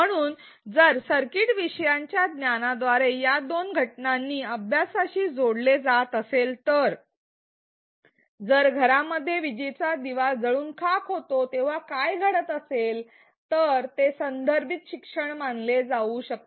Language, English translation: Marathi, So, if learners are able to connect these two situations the abstract experiment by the knowledge about the circuit with what happens when bulbs burn out in their homes then it can be considered as contextualized learning